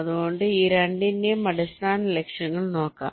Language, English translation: Malayalam, ok, so let see the basic objectives of this two